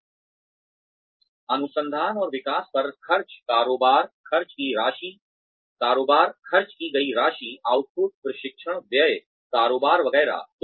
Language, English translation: Hindi, So, the expenditure on research and development, the turnover, the amount of money spent, the output, training expenditure, turnover, etcetera